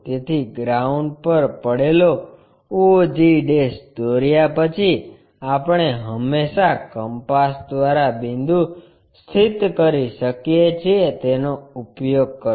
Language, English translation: Gujarati, So, use once we draw og' resting on the ground, we can always locate a point by compass